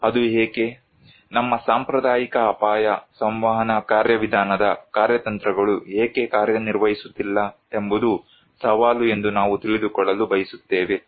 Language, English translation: Kannada, We would like to know that why it is so, why our conventional risk communication mechanism strategies are not working that is the challenge